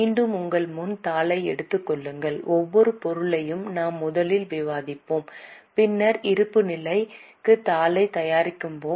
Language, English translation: Tamil, Once again take the sheet in front of you and each and every item we will discuss first and then we will actually prepare the balance sheet